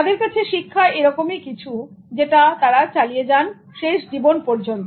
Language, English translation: Bengali, Learning is something that they continue till the end of their life